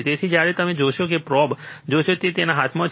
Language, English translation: Gujarati, So, when you see that you will see the probe, which is holding in his hand